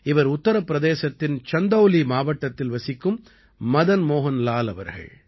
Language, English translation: Tamil, This is Madan Mohan Lal ji, a resident of Chandauli district of Uttar Pradesh